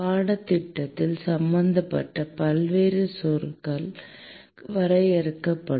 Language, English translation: Tamil, Various terminologies involved in the course will be defined